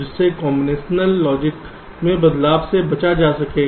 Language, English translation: Hindi, thereby transitions in the combinational logic will be avoided